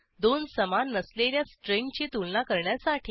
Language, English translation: Marathi, To compare two not equal strings